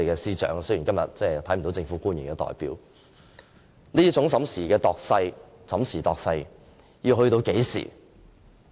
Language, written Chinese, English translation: Cantonese, 我真想問一問司長，雖然今天沒有政府官員出席，這種審時度勢的做法要到何時？, I really want to ask the Chief Secretary although no government official is present today until when will this judging the hour and sizing up the situation stop?